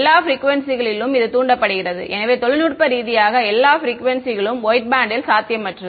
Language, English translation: Tamil, Excited with all frequencies right; so, that is well all frequencies is technically impossible white band right